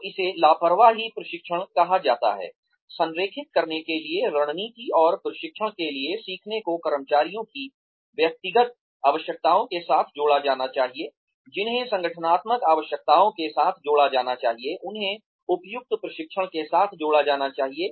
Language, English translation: Hindi, So, that is called negligent training In order to align, strategy and training, learning needs to be combined with, individual needs of employees, which needs to be combined with organizational needs, which needs to be combined with appropriate training